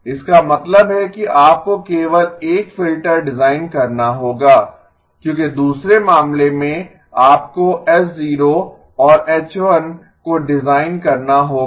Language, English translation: Hindi, This one means that you have to design only one filter because in the other case you have to design H0 and H1